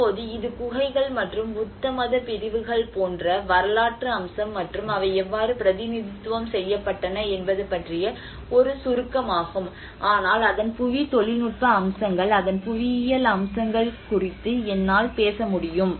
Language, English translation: Tamil, \ \ Now, this is a brief about the caves and their historic aspect like the Buddhist sects and how they have been represented, but then I will also touch upon the geotechnical aspects of it, the geomorphological aspects of it